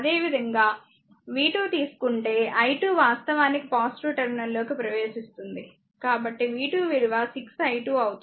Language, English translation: Telugu, Similarly, if you take v 2, the i 2 actually entering in to the positive terminal so, v 2 will be 6 i 2